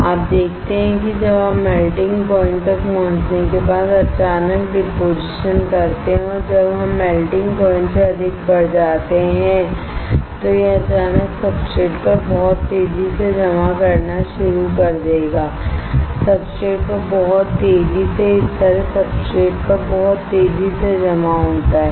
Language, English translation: Hindi, You see when you deposit suddenly after the melting point is reached and when we increase greater than melting point this will start suddenly depositing very fast on the substrate, very fast on the substrate like this very fast on the substrate